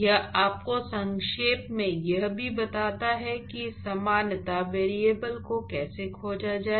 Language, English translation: Hindi, In fact, it also briefly tells you about how to find the similarity variables